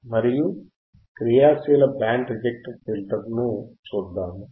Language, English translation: Telugu, And we will see active band reject filter, what is